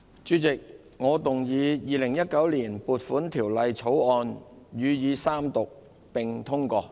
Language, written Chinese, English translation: Cantonese, 主席，我動議《2019年撥款條例草案》予以三讀並通過。, President I move that the Appropriation Bill 2019 be read the Third time and do pass